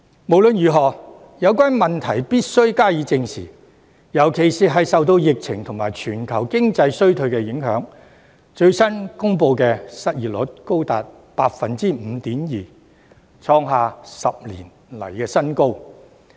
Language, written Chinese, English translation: Cantonese, 無論如何，有關問題必須正視，特別是鑒於受到疫情及全球經濟衰退的影響，最新公布的失業率現已高達 5.2%， 創下10年新高。, In any event we must address the problems squarely especially under the impact of the epidemic and global economic downturn the most recently announced unemployment rate is as high as 5.2 % hitting a new record high in 10 years